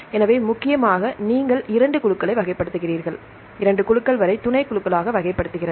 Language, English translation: Tamil, So, majorly you classify two groups and up to the two groups, you classify into subgroups